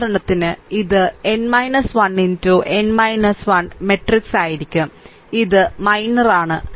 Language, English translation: Malayalam, So, accordingly it will be n minus 1 into n minus 1 matrix